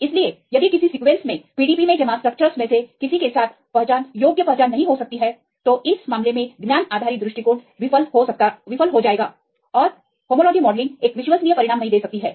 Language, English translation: Hindi, So, if a sequence cannot have in detectable identity with any of the structures deposited in PDB in this case the knowledge based approach will fail and homology modelling may not give a reliable results